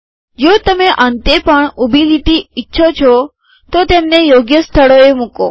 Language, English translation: Gujarati, If you want vertical lines at the end also, put them at appropriate places